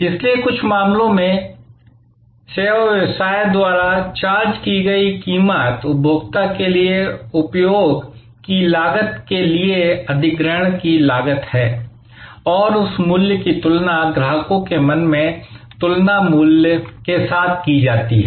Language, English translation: Hindi, So, in some respect therefore, the price charged by the service business is a cost of acquisition to the cost of use for the consumer and that cost is compared in customers mind with respect to the value perceived